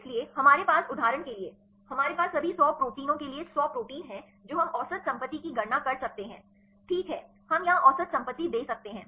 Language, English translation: Hindi, So, we have the for example, we have the hundred proteins for all the hundred proteins we can calculate the average property right we can gave the average property here